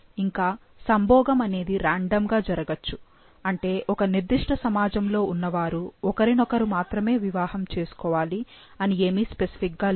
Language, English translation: Telugu, Mating is random, that is it is not specific that one, only a particular community be the one marrying each other